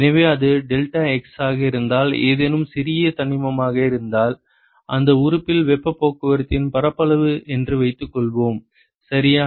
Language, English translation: Tamil, So, supposing if it is deltax some whatever small element and let us assume that the area of heat transport in that element ok